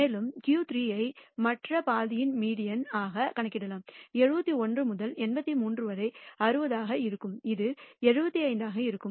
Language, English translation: Tamil, And the Q 3 can be computed as the median of the other half from 60 from 71 to 83 and that turns out to be around 75